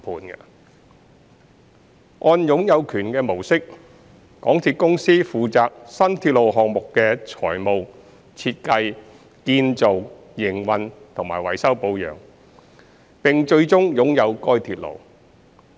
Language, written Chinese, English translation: Cantonese, 在"擁有權"模式下，港鐵公司負責新鐵路項目的財務、設計、建造、營運和維修保養，並最終擁有該鐵路。, Under the ownership approach MTRCL will be responsible for the financing design construction operation and maintenance of the new railway and ultimately owns the railway